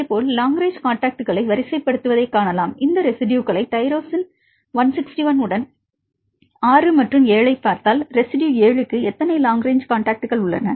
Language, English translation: Tamil, Likewise we can see sort long range contacts for example, if we see these residues a 6 right with the tyrosine 161 and see the residue 7, how many long range contacts for residue 7